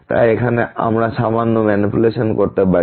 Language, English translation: Bengali, So now, here we can do little bit manipulations